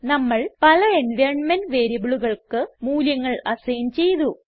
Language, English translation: Malayalam, We have assigned values to many of the environment variables